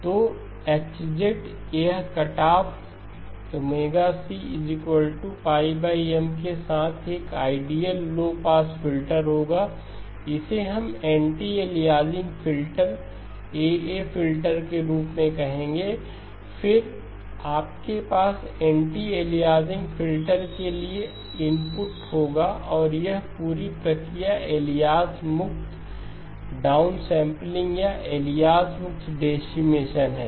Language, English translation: Hindi, So H of Z this would be an ideal low pass filter with cut off pi over M with cutoff omega c, cutoff is pi over M, this we would call as the anit aliasing filter, AA filter and then you have the input to the anti aliasing filter and this whole process alias free down sampling or alias free decimation